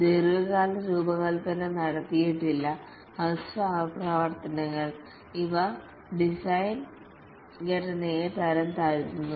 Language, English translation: Malayalam, Long term design is not made and the short iterations, these degrade the design structure